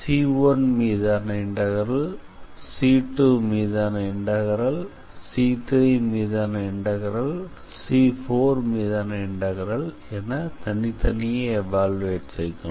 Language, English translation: Tamil, We cannot do C in whole we have to do like C1 then integral on C 2, then integral on C3, then integral on C4